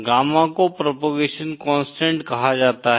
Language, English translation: Hindi, Gamma is called as the propagation constant